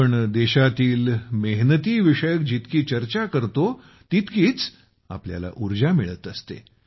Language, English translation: Marathi, The more we talk about the industriousness of the country, the more energy we derive